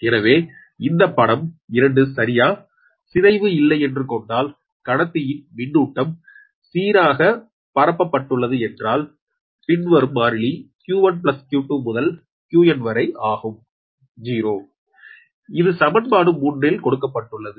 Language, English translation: Tamil, suppose that neglecting the, neglecting the distortion effect and assuming that charge is uniformly distributed around the conductor, with the following constants: that q one to q two up to q n is zero, that is equation three